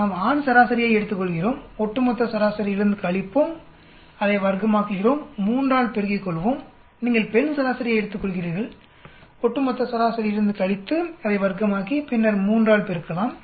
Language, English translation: Tamil, We take the male average, subtract from the overall average, square it, multiply by 3 plus you take the female average, subtract it from the overall average, square it and then multiply by 3